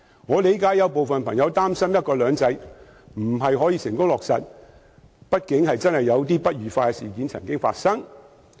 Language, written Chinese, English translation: Cantonese, 我理解有人擔心"一國兩制"未能成功落實，畢竟不愉快的事情曾經發生。, I understand peoples worry that one country two systems may not be successfully implemented due to the occurrence of some unpleasant incidents